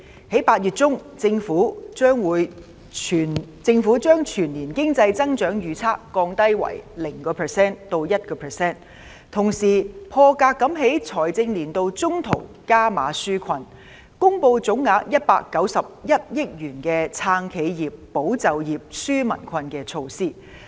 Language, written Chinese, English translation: Cantonese, 在8月中，政府將全年經濟增長預測降低為 0% 至 1%， 同時"破格"在財政年度中途加碼紓困，公布總額191億元的"撐企業、保就業、紓民困"的措施。, In mid - August the Government lowered the economic growth forecast for the year to 0 % to 1 % and unprecedentedly stepped up efforts to provide relief in the middle of the financial year announcing measures that cost 19.1 billion in total to support enterprises safeguard jobs and relieve peoples burden